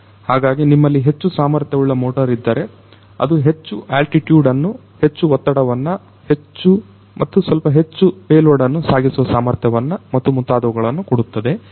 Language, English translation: Kannada, So, if you have higher capacity motors that will give you know higher you know altitude, the higher thrust, you know bit better payload carrying capacity and so on